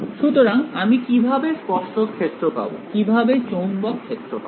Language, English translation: Bengali, So, how do I get the tangential field I mean, how do I get the magnetic field